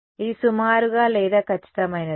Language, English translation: Telugu, Is that approximate or exact